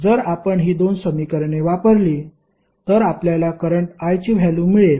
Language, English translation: Marathi, So, if you use these 2 equations you can find the value of current I